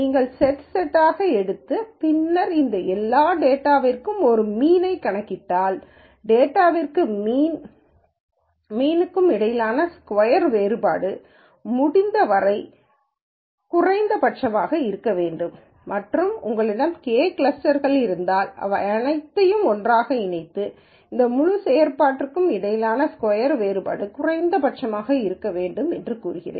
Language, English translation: Tamil, You take set by set and then make sure that if you calculate a mean for all of this data, the difference between the data and the mean square in a norm sense is as minimum as possible for each cluster and if you have K clusters you kind of sum all of them together and then say I want a minimum for this whole function